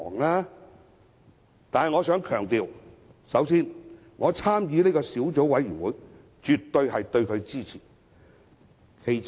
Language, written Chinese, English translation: Cantonese, 然而，我必須強調，首先，我參與小組委員會，表示我對其絕對支持。, However I must emphasize that first of all I joined the Subcommittee to indicate my absolute support